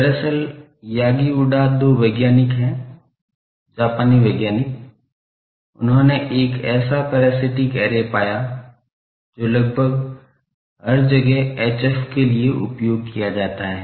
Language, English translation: Hindi, Actually, Yagi Uda there are two scientists, Japanese scientists, they found out one such parasitic array, which is almost, everywhere used for HF